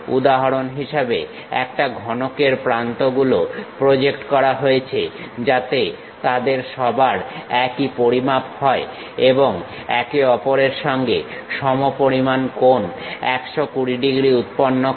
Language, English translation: Bengali, For example, the edges of a cube are projected so that they all measure the same and make equal angles 120 degrees with each other